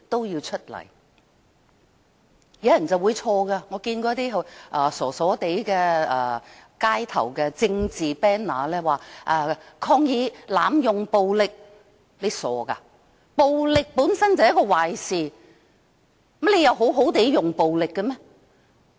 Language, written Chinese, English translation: Cantonese, 有些人搞錯了，我曾看到一些傻傻的街頭政治旗幟，寫着"抗議濫用暴力"，真傻，因為暴力本身便是一件壞事，難道可以好好地使用暴力嗎？, I saw some rather silly street banners with slogan like Protest against violence abuse . It is silly because violence is something bad . Is it possible to use violence in a good way?